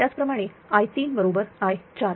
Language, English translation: Marathi, Similarly, i 3 is equal to small i 4